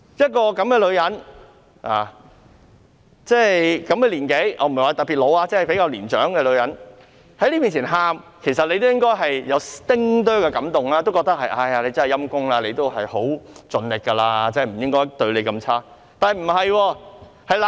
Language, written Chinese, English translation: Cantonese, 這種年紀的女人——我不是說她特別老，只是比較年長的女人——在大家面前流淚，其實大家應該會有一丁點感動，覺得她很可憐，已經盡力去做，不應該對她太差。, When a woman at her age―I am not saying that she is particularly old but is rather senior―was shedding tears in front of us we actually should have been a bit touched should have felt that she was pitiful and should not have treated her so badly as she has already tried her best . Nonetheless this is not the fact